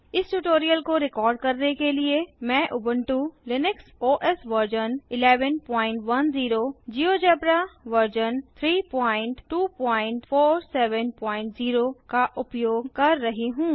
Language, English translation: Hindi, To record this tutorial, I am using Ubuntu Linux OS Version 11.10, Geogebra Version 3.2.47.0